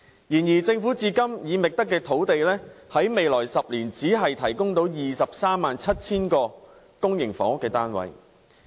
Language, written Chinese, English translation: Cantonese, 然而，政府至今已覓得的用地在未來10年只可提供23萬7000個公營房屋單位。, However the sites which have been identified by the Government so far can provide only 237 000 public housing units in the coming decade